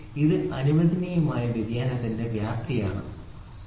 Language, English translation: Malayalam, It is a magnitude of permissible variation, ok